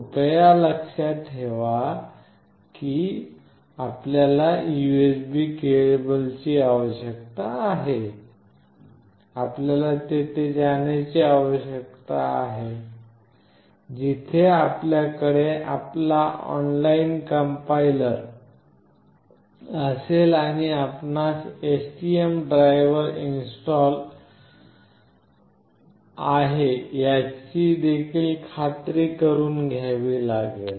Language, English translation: Marathi, Please remember that you need the USB cable, you need to go here where you will have your online complier and you have to also make sure that the STM driver is installed